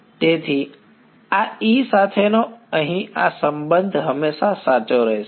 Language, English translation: Gujarati, So, this E this relation over here is always going to be true